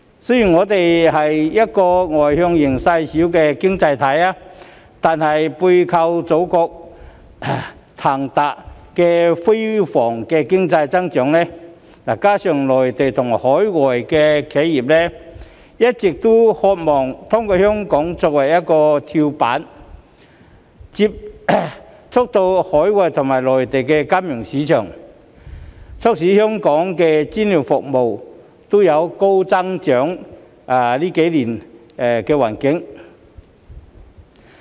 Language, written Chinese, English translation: Cantonese, 雖然我們是一個外向型細小的經濟體，但是背靠祖國騰飛的經濟增長，再加上內地和海外企業，一直渴望透過香港作為跳板，接觸到海外及內地金融市場，促使香港的專業服務在這幾年都能高速增長。, Hong Kong is a small externally - oriented economy . But the soaring economic growth of the Motherland behind us coupled with the long - standing desire of Mainland and overseas enterprises to gain entry into the financial markets of overseas countries and the Mainland through Hong Kong as a springboard has enabled the professional services industry in Hong Kong to attain rapid growth these few years